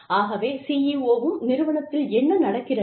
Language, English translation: Tamil, So, that the CEO knows, what is going on in the organization